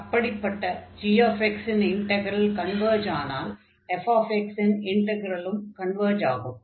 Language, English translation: Tamil, And if the integral of this g converges, then naturally the integral of this f will also converge